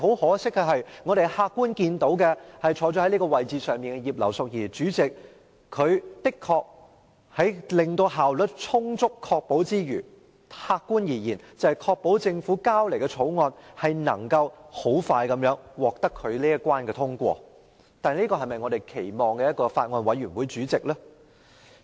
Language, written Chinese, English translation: Cantonese, 可惜，坐在法案委員會主席位置上的葉劉淑儀議員，雖然的確能充分確保會議效率，即客觀而言確保政府提交的《條例草案》可快速通過她這一關，但這是否我們期望法案委員會主席所做的事？, Regrettably although the Chairman of the Bills Committee Mrs Regina IP was indeed fully capable of ensuring the efficiency of the meetings that is―to put it objectively―ensuring that the Bill introduced by the Government could quickly get past her was this something that we expected the Chairman of the Bills Committee to do?